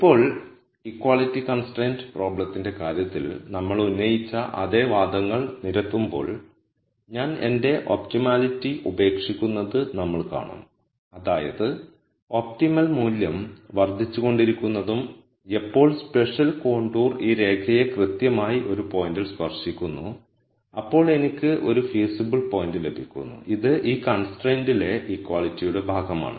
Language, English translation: Malayalam, Now, making the same arguments that we made in the case of the equality constraint problem, we will see that I give up on my optimality, that is I keep going through contours of larger and larger size where the optimum value keeps increasing and when a contour particular contour touches this line exactly at one point then I have a feasible point which is going to satisfy this constraint, the equality part of the constraint